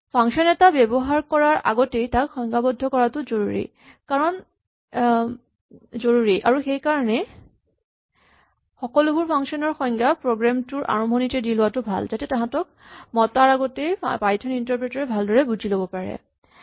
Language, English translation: Assamese, Also functions must be defined before they are used and this is a good reason to push all your function definitions to the beginning of your program, so that the Python interpreter will digest them all before there are actually invoked